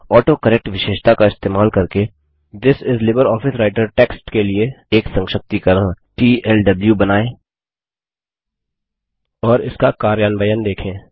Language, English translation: Hindi, Using the AutoCorrect feature, create an abbreviation for the text This is LibreOffice Writer as TLW and see its implementation